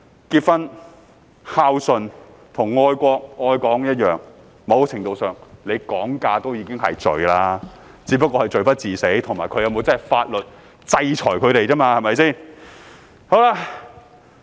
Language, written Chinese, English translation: Cantonese, 結婚、孝順和愛國、愛港一樣，"講價"在某程度上已是罪，只是罪不至死，以及他們會否真的受到法律制裁而已。, Getting married and upholding filial piety are akin to loving the country and Hong Kong . To a certain extent it is a sin to bargain albeit not a deadly one and it is uncertain whether they will really be subject to legal sanctions